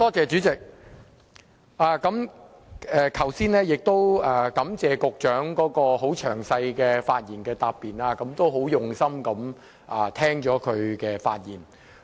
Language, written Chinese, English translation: Cantonese, 主席，感謝局長剛才很詳細的發言答辯，我很用心聆聽她的發言。, President I wish to thank the Secretary for giving a very detailed reply . I listen to her reply very carefully